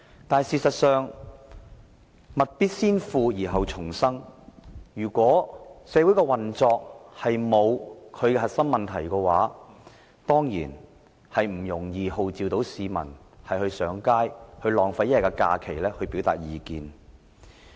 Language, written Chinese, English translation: Cantonese, 但是，事實上，物必先腐而後蟲生，如果社會的運作沒有出現核心問題，根本不容易號召市民上街，浪費1天假期來表達意見。, In fact only rotten things will breed worms . If no essential problems have arisen in the operation of a society it is simply not easy to call on people to take to the streets and waste a day of holiday to express their opinions